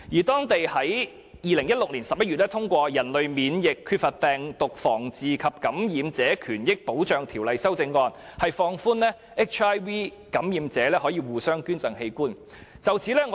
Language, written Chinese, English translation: Cantonese, 當地在2016年11月通過《人類免疫缺乏病毒傳染防治及感染者權益保障條例》的修正案，放寬讓 HIV 感染者互相捐贈器官的安排。, In November 2016 Taiwan amended its HIV Infection Control and Patient Rights Protection Act relaxing the arrangement for organ donations among HIV - positive persons